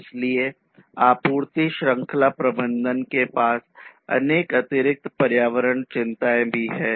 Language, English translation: Hindi, So, supply chain management has many additional environmental concerns as well